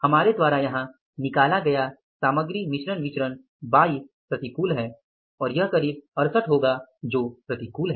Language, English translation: Hindi, Material mixed variance we have worked out here is 22 adverts and this is something like 68 adverse